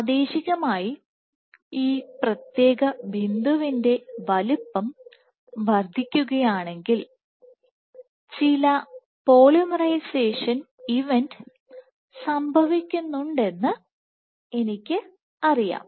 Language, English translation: Malayalam, So, if locally at let us say if this particular speckle is growing in size then I know other there is some polymerization event going on